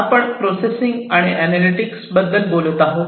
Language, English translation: Marathi, So, we talked about processing, we talked about analytics